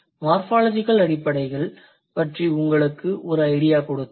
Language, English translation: Tamil, I did give you an idea about the basics of morphology